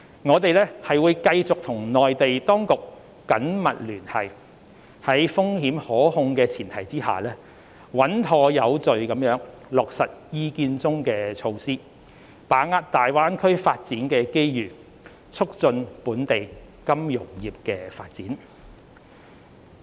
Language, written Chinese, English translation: Cantonese, 我們會繼續與內地當局緊密聯繫，在風險可控的前提下，穩妥有序地落實《意見》中的措施，把握大灣區發展的機遇，促進本地金融業發展。, We will continue to liaise closely with the Mainland authorities and take forward the measures in the Opinion progressively in a risk - controlled manner with a view to leveraging the opportunities brought by the Greater Bay Area development and promoting the development of the local financial services sector